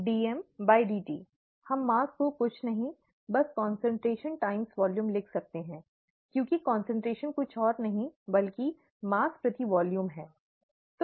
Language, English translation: Hindi, We can write mass as nothing but concentration times volume, because concentration is nothing but mass per volume, right